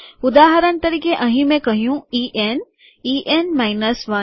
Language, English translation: Gujarati, For example here I have said E N, E N minus 1